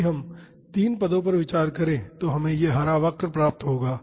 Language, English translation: Hindi, If we consider three terms we would get this green curve